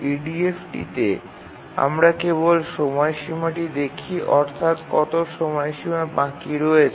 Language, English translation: Bengali, In EDF we look at only the deadline, how much deadline is remaining